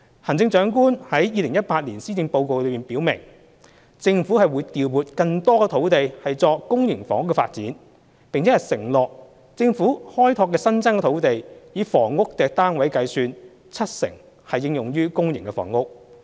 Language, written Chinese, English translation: Cantonese, 行政長官在2018年施政報告中表明，政府會調撥更多土地作公營房屋發展，並承諾政府開拓的新增土地，以房屋單位計算，七成應用於公營房屋。, In the 2018 Policy Address the Chief Executive states that the Government will allocate more land sites for public housing development and committed to allocating 70 % of housing units on the Governments newly developed land to public housing development